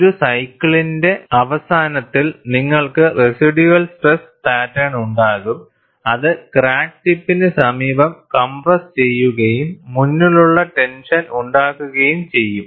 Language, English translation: Malayalam, At the end of one cycle, invariably, you will have a residual stress pattern, which is compressive, near the crack tip and tension ahead